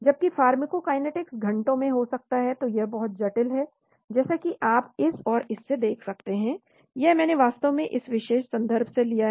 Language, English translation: Hindi, Whereas the pharmacokinetics could be in hours, so it is very complicated, as you can see from this and this, this I taken from this particular reference actually